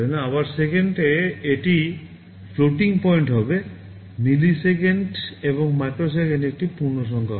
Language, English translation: Bengali, Again in seconds it will be floating point, milliseconds and microseconds it will be integers